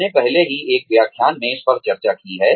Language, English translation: Hindi, We have already discussed this, in a previous lecture